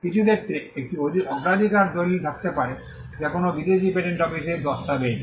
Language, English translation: Bengali, In some cases, there could be a priority document which is a document filed in a foreign patent office